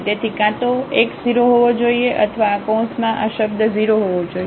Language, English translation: Gujarati, So, either x has to be 0 or this term in this bracket has to be 0